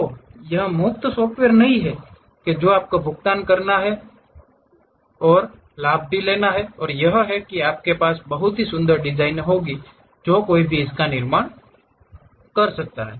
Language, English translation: Hindi, So, it is not a free software you have to pay but the advantage is you will have very beautiful designs one can construct it